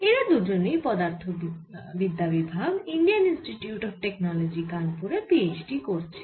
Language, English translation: Bengali, they are both students at the physics department in i i t kanpur